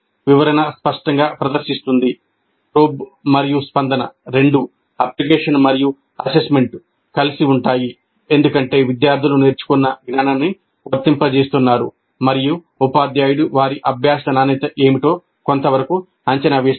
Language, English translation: Telugu, Probe and respond is both application and assessment together because the students are applying the knowledge learned and the teacher is to some extent assessing what is the quality of the learning